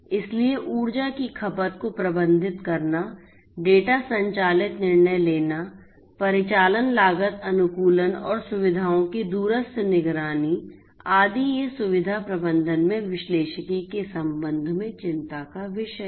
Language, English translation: Hindi, So, managing the energy consumption, making data driven decision decisions, operational cost optimization, remote monitoring of facilities, etcetera these are of concerns with respect to analytics in facility management